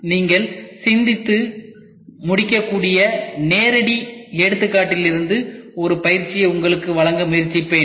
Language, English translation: Tamil, And I will try to give you an exercise just from the live examples which you can think of and start solving that assignment